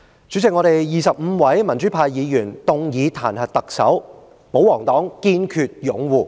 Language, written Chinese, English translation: Cantonese, 主席，我們25位民主派議員動議彈劾特首的議案，但保皇黨卻堅決擁護她。, President we 25 Members from the pro - democratic camp move this motion to impeach the Chief Executive but the royalists are determined to defend her